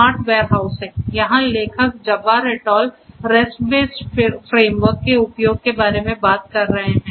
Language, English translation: Hindi, Smart Warehousing, here the authors are talking about Jabbar et al they are talking about the use of a rest based framework